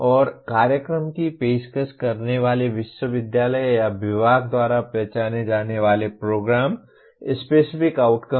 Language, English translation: Hindi, And Program Specific Outcomes identified by the university or the department offering the program